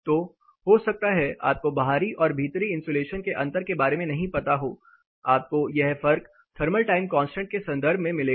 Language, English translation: Hindi, So, you may not know the different between an outside insulation versus the inside insulation, whereas where will you find the different you will find the difference in terms of thermal time constant